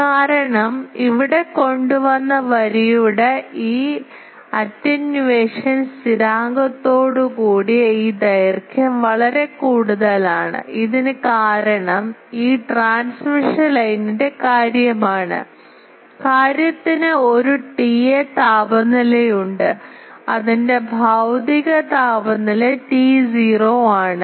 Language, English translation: Malayalam, Because this is one thing that this much length with this attenuation constant of the line that has brought here and this is for this is due to the, this transmission line thing, the thing has a T A temperature the physical temperature of this is T 0